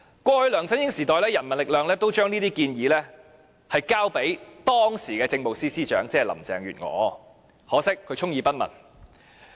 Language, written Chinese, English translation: Cantonese, 過去在梁振英時代，人民力量都將這些建議交給時任政務司司長，可惜她充耳不聞。, In the LEUNG Chun - ying era the People Power submitted these proposals to the then Chief Secretary for Administration Carrie LAM to which she turned a deaf ear